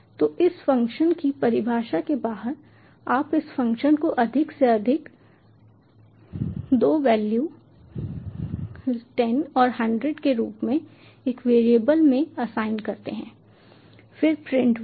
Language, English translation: Hindi, so, outside this function definition you assign, you assign this function to a variable as greater two values as ten and hundred print val